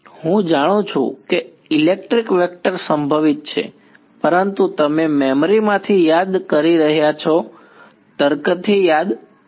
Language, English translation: Gujarati, I know there is a electric vector potential, but you are recalling from memory recalls from logic